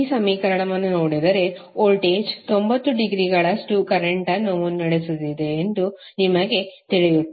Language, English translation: Kannada, If you see this particular equation you will come to know that voltage is leading current by 90 degree